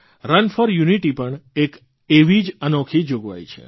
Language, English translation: Gujarati, 'Run for Unity' is also one such unique provision